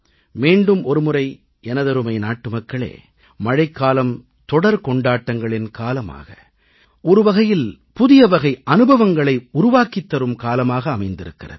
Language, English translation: Tamil, My dear countrymen, let me mention once again, that this Season of Rains, with its abundance of festivals and festivities, brings with it a unique new feeling of the times